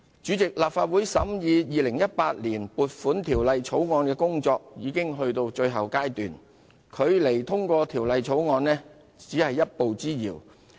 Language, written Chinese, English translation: Cantonese, 主席，立法會審議《條例草案》的工作已到達最後階段，距離《條例草案》通過只是一步之遙。, Chairman the Legislative Councils scrutiny of the Bill has reached the final stage and we are just one step away from the passage of the Bill